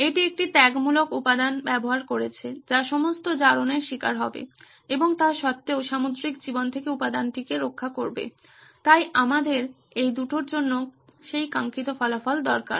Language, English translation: Bengali, That is using a sacrificial material which would take on the brunt of all the corrosion and still protect the material from marine life So we needed that desired result for these two